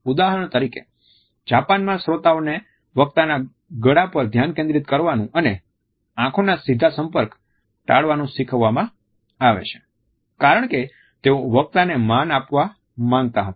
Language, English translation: Gujarati, For example, up till very recently in Japan listeners are taught to focus on the neck of the speaker and avoid a direct eye contact because they wanted to pay respect to the speaker